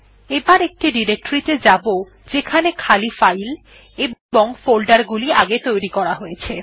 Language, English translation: Bengali, We will move to the directory where we have created empty files and folders